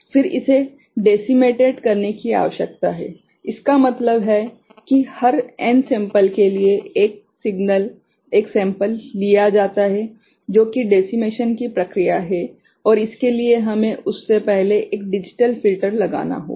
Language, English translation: Hindi, Then it needs to be decimated; that means, for every n sample one signal, one sample is taken that is the process of decimation and for that we need to put a digital filter before that ok